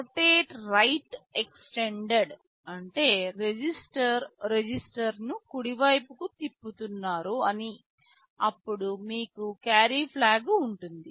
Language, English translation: Telugu, Rotate right extended means the register you are rotating right, then there will be your carry flag